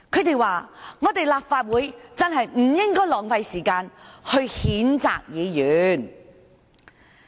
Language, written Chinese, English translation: Cantonese, 他們說，立法會真的不應該浪費時間譴責議員。, They said the Legislative Council really should not waste time on condemning Members